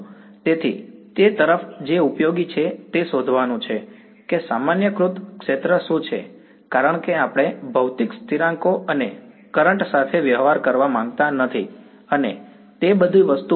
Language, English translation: Gujarati, So, towards that what is useful is to find out what is the normalized field because we do not want to be dealing with physical constants and currents and all over that thing